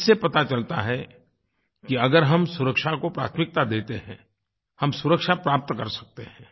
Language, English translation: Hindi, This proves that if we accord priority to safety, we can actually attain safety